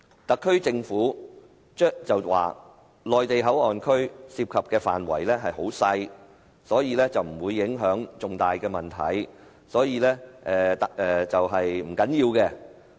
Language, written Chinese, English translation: Cantonese, 特區政府說內地口岸區涉及的範圍細小，所以不會有重大影響，是不要緊的。, The Special Administrative Region Government said the area involved in MPA was small so it would not have any great impact it does not matter . This point is absolutely untenable